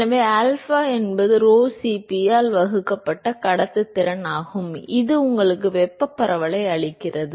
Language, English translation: Tamil, So, alpha is conductivity divided by rho Cp that gives you thermal diffusivity